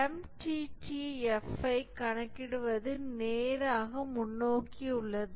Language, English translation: Tamil, So, computing the MTTF is straightforward